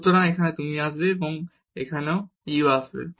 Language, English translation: Bengali, So, here the u will come and here also the u will come